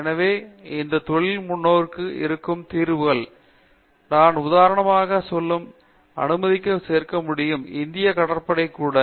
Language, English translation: Tamil, So, these are solutions which the industry looks forward to, I could add let us say for the example; Indian navy too